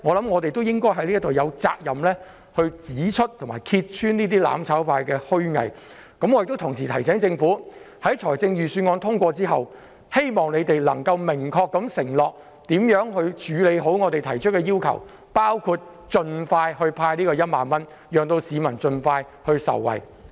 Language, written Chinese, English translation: Cantonese, 我們有責任指出和揭穿"攬炒派"的虛偽，同時亦要提醒政府，待預算案獲得通過後，當局應明確承諾將如何妥善處理我們提出的要求，包括盡快派發1萬元，讓市民早日受惠。, We have the responsibility to point out and expose the hypocrisy of the mutual destruction camp . At the same time we must remind the Government that after the Budget has been passed it should make a clear undertaking that our demands will be properly addressed including distributing the 10,000 expeditiously so that members of the public can benefit early